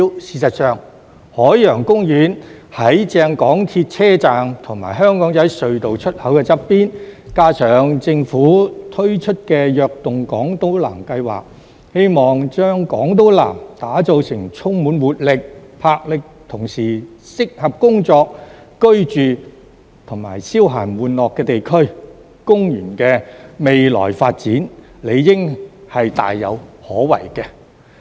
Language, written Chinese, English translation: Cantonese, 事實上，海洋公園正正在港鐵車站和香港仔隧道出口旁邊，加上政府推出"躍動港島南"計劃，希望將港島南打造成充滿活力、魄力，同時適合工作、居住和消閒玩樂的地區，公園的未來發展理應是大有可為的。, As Ocean Park is situated right next to a Mass Transit Railway station and the Aberdeen Tunnel exit and the Government has launched the Invigorating Island South initiative which aims to develop Island South into an area that is full of energy and vigour and suitable for working living and entertainment the future development of Ocean Park should naturally be very promising